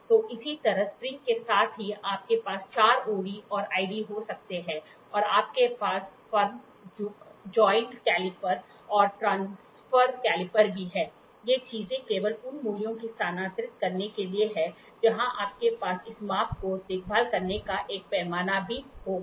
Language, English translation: Hindi, So, same way with spring also you can have four OD and ID and you also have firm joint caliper and transfer caliper, these things are just to transfer the values where even which you will also have a scale to take care of this measurement